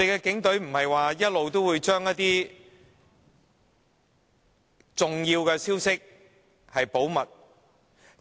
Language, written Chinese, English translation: Cantonese, 警隊不是一直聲稱會將重要消息保密嗎？, Is it not the truth that the Police always claims to have kept all important news confidential?